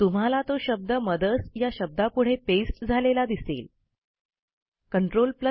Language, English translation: Marathi, You see that the word is now pasted here next to the word MOTHERS